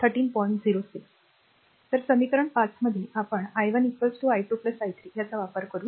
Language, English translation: Marathi, So, in equation 5 we substitute that i 1 is equal to i 2 plus i 3